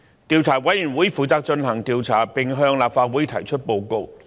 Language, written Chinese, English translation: Cantonese, 調查委員會負責進行調查，並向立法會提出報告。, The committee shall be responsible for carrying out the investigation and reporting its findings to the Council